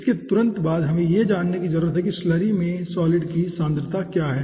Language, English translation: Hindi, next we need to know what is the concentration of solid in the slurry